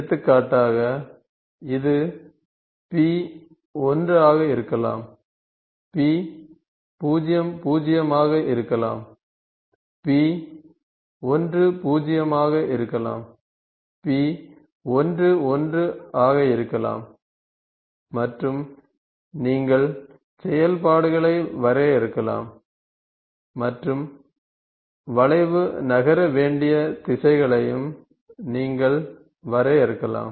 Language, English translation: Tamil, For example, so, this can be P01, this can be P00, this can be P10, this can be P11 and you can define the functions and you also define the directions with which the curve has to moved